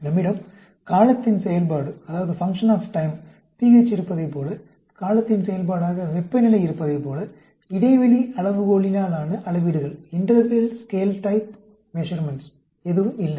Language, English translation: Tamil, There are no interval scale type of measurements, like we have pH as a function of time, temperature as a function of time